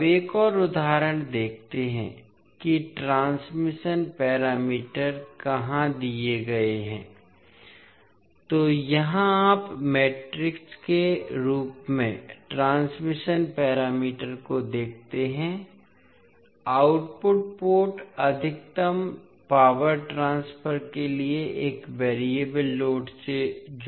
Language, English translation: Hindi, Now, let us see another example where the transmission parameters are given, so here you see the transition parameters in the matrix form, the output port is connected to a variable load for maximum power transfer